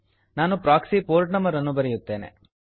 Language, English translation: Kannada, I will enter proxy port number